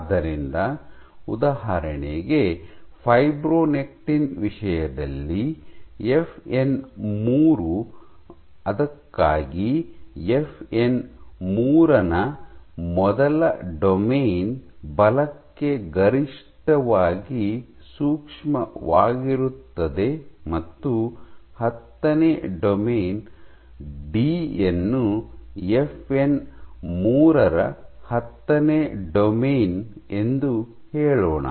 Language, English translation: Kannada, So, for the case of fibronectin for example, it has been observed that for FN3, first domain of FN 3 is maximally sensitive for forces, and the tenth domain, let us say D is FN 3 tenth domain